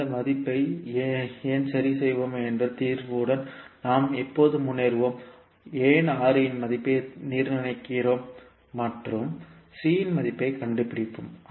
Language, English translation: Tamil, Why we will fix that value, we will see that when we will progress with the solution, that why we are fixing value of R and finding out value of C